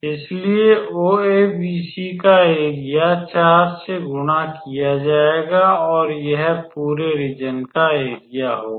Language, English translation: Hindi, So, o a b c area of o a b c will be the multiplied by 4 will be the area of the entire region